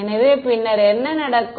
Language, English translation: Tamil, So, then what happens